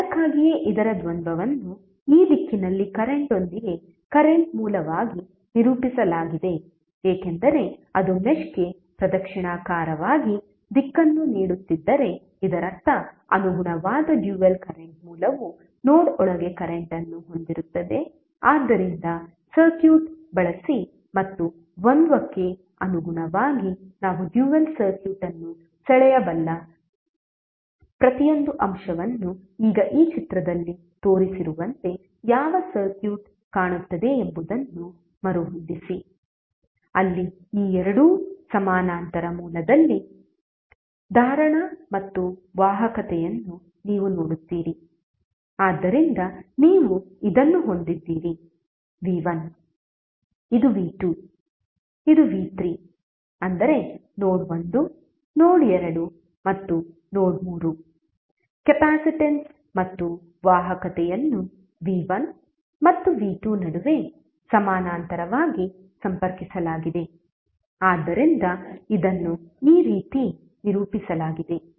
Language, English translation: Kannada, So that is why the dual of this is represented as current source with current in this direction because if it is giving current in a clockwise direction to the mesh that means that the corresponding dual current source will have current flowing inside the node so using the circuit and corresponding the dual so each and individual element we can draw the dual circuit, now rearrange the what circuit would look like as shown in this figure, where you will see that capacitance and conductance these two are in parallel source, so you have this is v1, this is v2 this is v3 that means node1, node2 and node3 the capacitance and conductance are connected in parallel between v1 and v2, so this is represented in this way